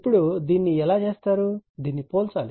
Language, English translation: Telugu, Now, how you will do this, you have to compare